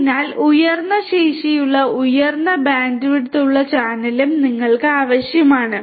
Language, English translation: Malayalam, So, you need the channel also to be of a high capacity high bandwidth